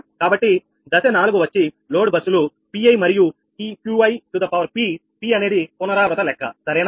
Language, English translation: Telugu, so step four, for load buses, pi and qi, p is the iteration count, right